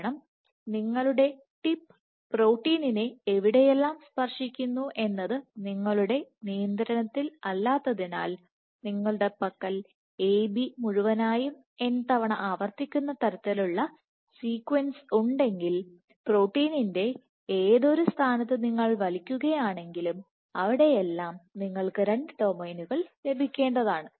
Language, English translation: Malayalam, Because since you do not have control over where the tip touches the protein wherever your tip touches the protein if you have a, I have a sequence like A B whole n, whatever point the tip pulls the protein you are bound to have both the domains and we pulled up